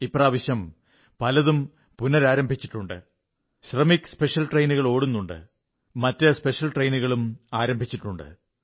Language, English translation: Malayalam, This time around much has resumedShramik special trains are operational; other special trains too have begun